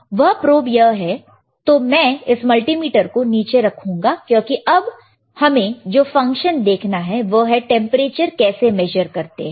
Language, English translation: Hindi, And this probe is here so, I will put this multimeter down because right now our function or our application is to measure the temperature